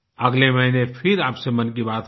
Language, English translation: Hindi, Friends, we will speak again in next month's Mann Ki Baat